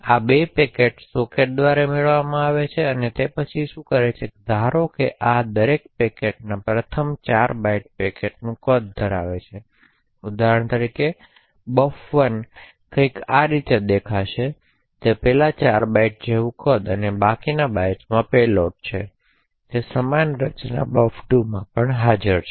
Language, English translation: Gujarati, So, these 2 packets are obtained through sockets and then what it does is that it assumes that first 4 bytes of each of these packets contains the size of the packet so for example buffer 1 would look something like this way the 1st 4 bytes would have the size and the remaining bytes would have the payload and similar structure is present for buffer 2 as well